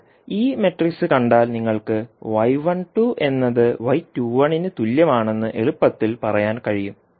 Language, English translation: Malayalam, Now, if you see this particular matrix you can easily say y 12 is equal to y 21